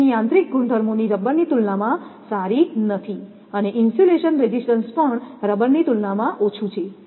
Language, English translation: Gujarati, Its mechanical properties are not as good as those of rubber and the insulation resistance is also lower than that of rubber